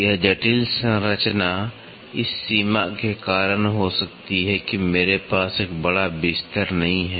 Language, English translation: Hindi, This complex structure may be due to the limitation I do not have a large bed